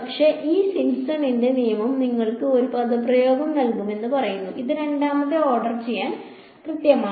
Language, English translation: Malayalam, But, this Simpson’s rule tells you gives you one expression which is accurate to order second order